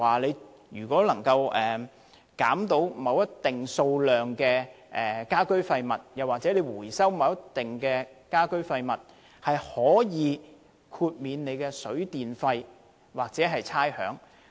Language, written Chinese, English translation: Cantonese, 例如若能減少某個數量的家居廢物，又或回收某個數量的家居廢物，便可以豁免其水、電費或差餉。, For example if members of the public can reduce or recycle their domestic waste to a certain amount they will receive waivers for water charges electricity charges or rates